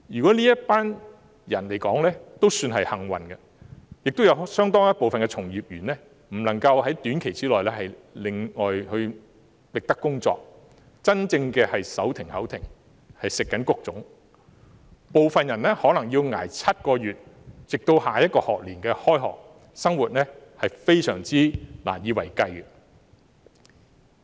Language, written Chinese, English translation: Cantonese, 這群人也算較為幸運了，因為亦有相當一部分的從業員無法在短期內另覓工作，真正手停口停，要"食穀種"，部分人可能要捱7個月直至下學年開學，生活非常難以為繼。, This group of people are already more fortunate because there are also a considerable number of practitioners who cannot find another job shortly . Living from hand to mouth they have to exhaust their savings . Some may have to struggle for seven months until the next school year commences